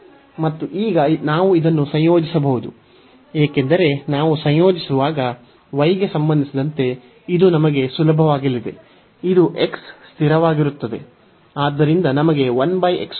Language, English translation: Kannada, And now we can integrate this because with respect to y when we integrate, this is going to be easier we have this is x is constant